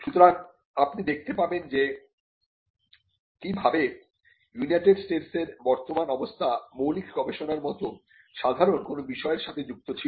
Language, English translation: Bengali, So, you will see that this was how the current position of the United States was linked to something as simple as basic research